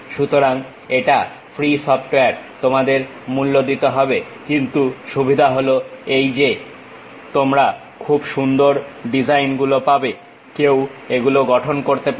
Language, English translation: Bengali, So, it is not a free software you have to pay but the advantage is you will have very beautiful designs one can construct it